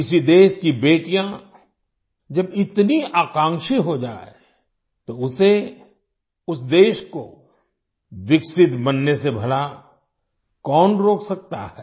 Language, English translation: Hindi, When the daughters of a country become so ambitious, who can stop that country from becoming developed